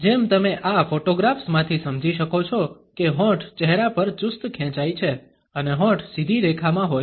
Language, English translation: Gujarati, As you can make out from these photographs the lips are is stretched tight across face and the lips are in a straight line